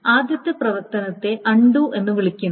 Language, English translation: Malayalam, The first operation is called undo